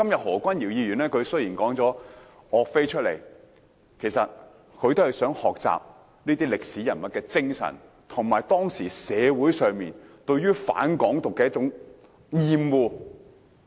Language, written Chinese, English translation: Cantonese, 何君堯議員今天談及岳飛，其實也是想學習這位歷史人物的精神，以及解釋當時社會上對"港獨"的厭惡。, By talking about YUE Fei today Dr Junius HO in fact also wanted to learn from the spirit of this historical figure and explained the hatred for Hong Kong independence in the society at that time